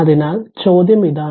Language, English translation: Malayalam, So, question is that